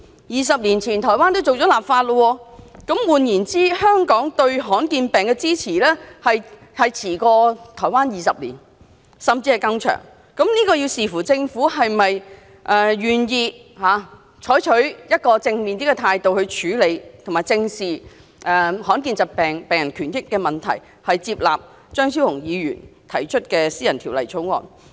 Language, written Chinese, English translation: Cantonese, 二十年前，台灣已經立法，換言之，香港對罕見病的支持落後台灣20年，甚至更長，視乎政府是否願意用正面態度來處理罕見病，以及正視罕見病病人權益，接納張超雄議員提出的私人條例草案。, As early as 20 years ago Taiwan already legislated on rare diseases . In other words Hong Kong is 20 years behind Taiwan if not longer in supporting rare diseases . It depends on whether our Government is willing to deal with rare diseases positively face up to the rights and interests of rare disease patients and accept the private bill to be proposed by Dr Fernando CHEUNG